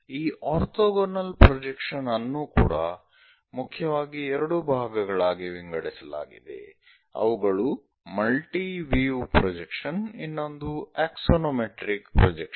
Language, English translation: Kannada, This, orthogonal projections are also divided into two parts mainly multi view projections, the other one is axonometric projections